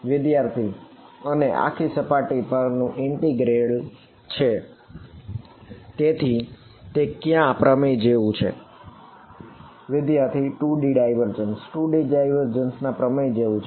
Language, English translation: Gujarati, And a surface integral over it, so that is like which theorem